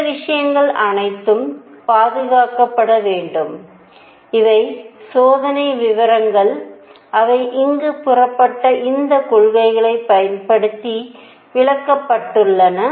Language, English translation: Tamil, All these things should be preserved these are experimental facts, which were explained using these principles which are being stated